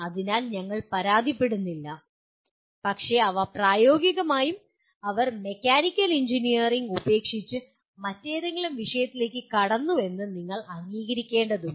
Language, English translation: Malayalam, So we do not complain but you have to acknowledge that they have left practically the mechanical engineering and went into some other discipline